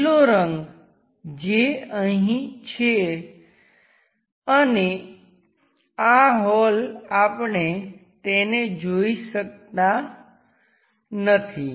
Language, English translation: Gujarati, The green material that comes at this level and this hole we cannot see it